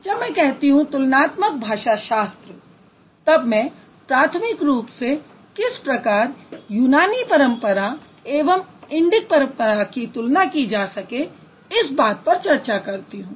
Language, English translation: Hindi, So from when I say comparative philology, I'm primarily I'm going to discuss and I'm going to talk about how to compare between the Greek tradition and then the Indic tradition